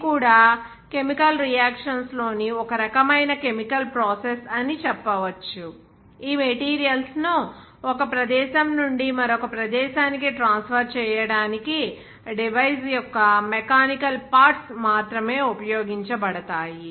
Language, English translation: Telugu, This is also one kind of process where you can say there will be no chemical reactions, only mechanical parts of the device to be used to transfer these materials from one location to another location